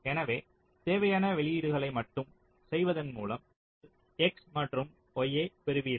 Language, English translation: Tamil, so by just ending the required to all outputs you get x and y